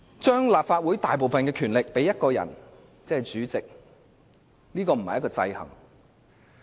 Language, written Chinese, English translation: Cantonese, 將立法會大部分的權力賦予一人，並非制衡。, The act of giving most of the powers of the Legislative Council to one person disallows checks and balances